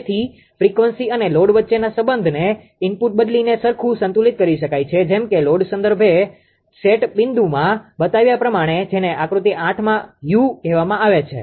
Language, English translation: Gujarati, So, the relationship between frequency and load can be adjusted right ah by changing the input as shown in load reference set point this is called u in the figure 8